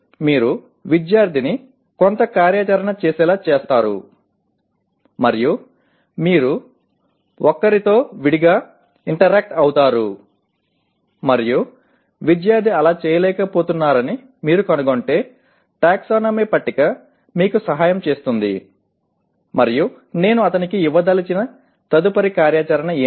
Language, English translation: Telugu, You make the student to do some activity and then you interact at one to one level and if you find the student is unable to do that, the taxonomy table can help you and say okay what is the next activity that I want to give him so that he can perform this activity properly